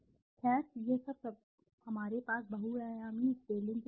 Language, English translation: Hindi, Well this is all we have for multidimensional scaling